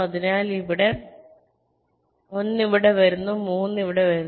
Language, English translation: Malayalam, so this one comes here, three comes here